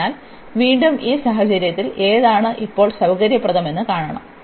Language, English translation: Malayalam, So, again in this case we have to see which one is convenient now